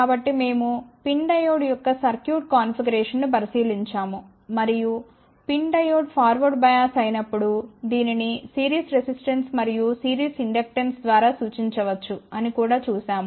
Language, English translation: Telugu, So, we had looked into the circuit configuration of pin diode and we had also seen when the pin diode is forward by us it can be represented by a series resistance and a series inductance